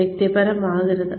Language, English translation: Malayalam, Do not get personal